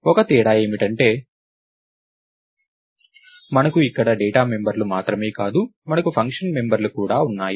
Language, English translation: Telugu, Only difference is that we not only have data members here, we also have function members